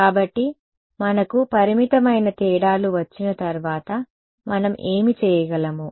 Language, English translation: Telugu, So, once we had the finite differences what could we do